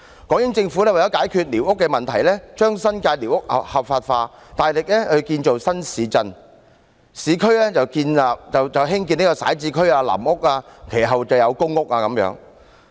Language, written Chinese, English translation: Cantonese, 港英政府為了解決寮屋問題，將新界寮屋合法化，大力建造新市鎮，市區則興建徙置區、臨屋，其後有公屋。, To resolve the problem of squatter dwellings the British Hong Kong Government legalized the squatter dwellings in the New Territories and vigorously developed new towns . In the urban areas it built resettlement areas temporary housing and later public rental housing PRH